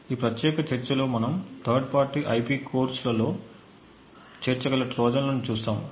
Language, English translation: Telugu, In this particular talk we will be looking at Trojans that could potentially inserted in third party IP cores